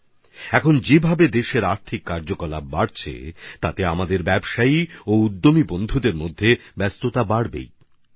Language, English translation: Bengali, The way economic activities are intensifying in the country, the activities of our business and entrepreneur friends are also increasing